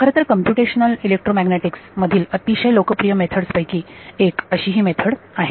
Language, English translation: Marathi, It is in fact, one of the most popular methods in Computational Electromagnetics right